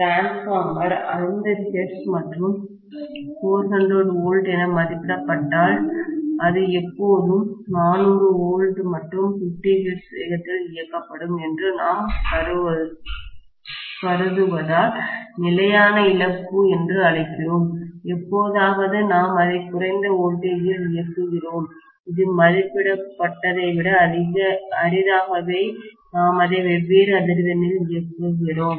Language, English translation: Tamil, Constant loss we call it because we assume that if the transformer is rated for 50 hertz and 400 volts, it will always be operated at 400 volts and 50 hertz, hardly ever we operate it at lower voltage, hardly ever be operate it at different frequency than what it is rated for